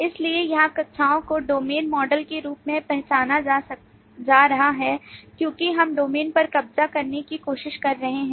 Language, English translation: Hindi, So here the classes are being identified as domain models because we are trying to capture what the domain has